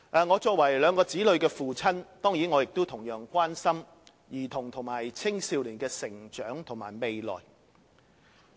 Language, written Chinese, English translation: Cantonese, 我作為兩名子女的父親，當然亦同樣關心兒童和青少年的成長和未來。, As a father of two children certainly I am equally concerned about the growth and future of children and youngsters